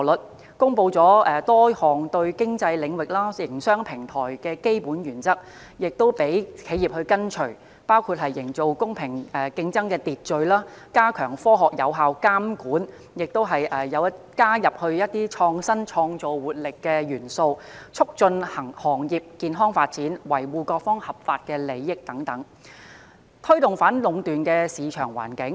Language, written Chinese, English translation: Cantonese, 內地公布了多項對平台經濟領域、營商平台的基本原則，讓企業跟隨，包括營造公平競爭秩序、加強科學有效監管、激發創新創造活力、促進行業健康發展、維護各方合法利益等，藉以推動反壟斷的市場環境。, The Mainland authorities have announced a number of fundamental principles regarding the platform economy sector and business platforms for enterprises to follow . These include establishing the order of fair competition stepping up scientific and effective supervision stimulating innovation and creativity fostering healthy development of the sector and safeguarding the legitimate interests of different parties all of which aim at promoting a market environment averse to monopolistic activities